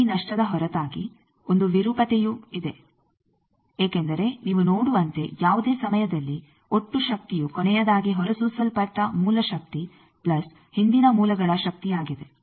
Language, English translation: Kannada, Also apart from this lost there is a distortion associated, because as you see that at any time total power is power what is coming due to the last emitted source plus previous sources